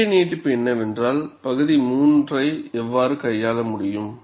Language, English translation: Tamil, So, the natural extension is, how region 3 can be handled